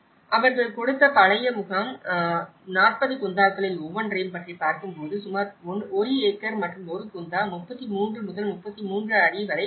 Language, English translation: Tamil, The old camp they have given about each in a 40 Gunthas is about 1 acre and 1 Guntha is about 33 by 33 feet